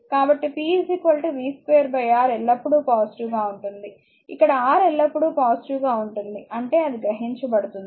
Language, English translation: Telugu, So, p is equal to v square by R always it is positive where i square R always positive; that means, it absorbed power